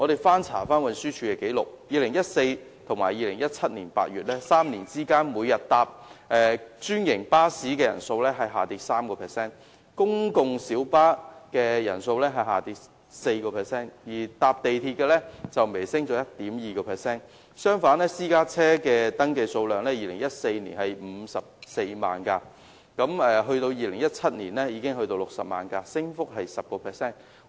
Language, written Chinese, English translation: Cantonese, 翻查運輸署的紀綠，由2014年至2017年8月的3年間，每天乘坐專營巴士的人數下降 3%， 公共小巴的人數下跌 4%， 而乘坐地鐵的人則微升 1.2%； 相反，私家車的登記數量 ，2014 年有54萬輛，至2017年則增加至60萬輛，升幅達 10%。, I checked the records of the Transport Department . In the three years between 2014 to August 2017 the daily passenger journey by franchised bus dropped 3 % and by public light bus 4 % and the daily passenger journey by MTR slightly increased by 1.2 % ; on the other hand private car registration increased by 10 % rising from 540 000 registrations in 2014 to 600 000 registrations in 2017